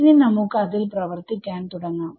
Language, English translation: Malayalam, Now we can start now we can start working in it